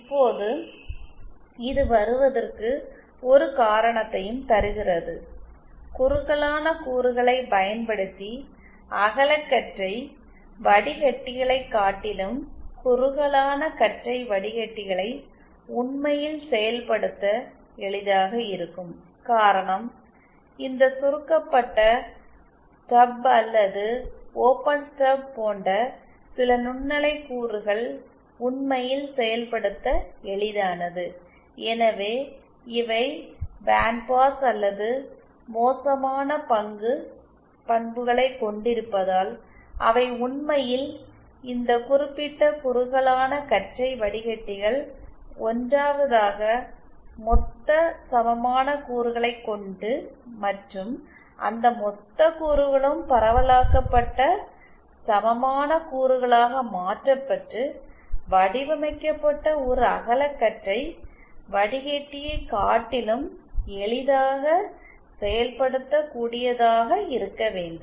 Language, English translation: Tamil, Now, coming this also gives a reason why address it, narrowband filters might actually be easier to implement than say broadband filters using lumped elements, the reason is that as we saw that certain microwave components like this shorted stub or open stub are actually easier to implement and hence and because these have a bandpass or bad stock characteristics, so they are actually easier to implement, these particular narrowband filters than say a broadband filter which has to be 1st designed using the lumped element equivalent and then of course lumped elements have to be converted into their distributed equivalent